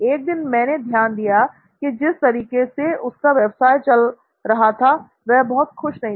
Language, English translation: Hindi, Now I one day noticed that he was not too happy with the way his business was being run